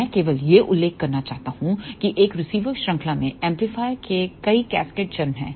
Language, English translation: Hindi, I just want to mention that in a receiver chain there are several cascaded stages of the amplifier